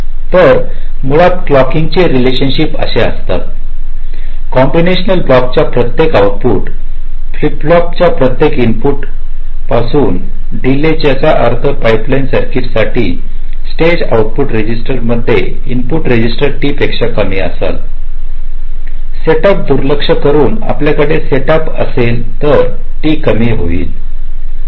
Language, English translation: Marathi, ok, so basically the clocking relationships are like this: delay from each input flip flop to each output flip flop of combinational block, which means for a pipelines circuit, the input register to the output register of a stage should be less than t, ignoring set up